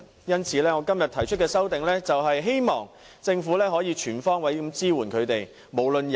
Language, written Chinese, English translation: Cantonese, 因此，我今天提出的修正案，是促請政府全方位支援他們。, Therefore I propose an amendment today urging the Government to provide support to them on all fronts